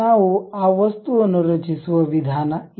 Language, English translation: Kannada, This is the way we can create that object